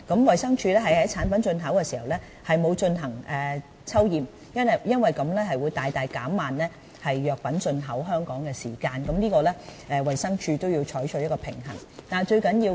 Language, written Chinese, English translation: Cantonese, 衞生署在產品進口時並沒有進行抽驗，因為這樣會大大減慢藥品進口香港的時間，衞生署是須就這方面取得平衡的。, DH does not conduct sampling checks on these products at import level because this will greatly slow down the import of these products into Hong Kong . DH must strike a balance on this front